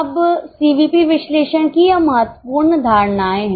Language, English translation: Hindi, Now these are the important assumptions of CVP analysis